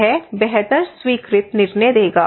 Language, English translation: Hindi, It will give better accepted decisions